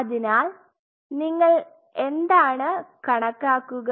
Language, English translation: Malayalam, So, what you are quantifying